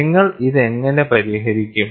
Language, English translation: Malayalam, So, how do you solve it